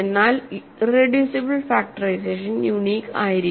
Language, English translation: Malayalam, But irreducible factorization must be unique ok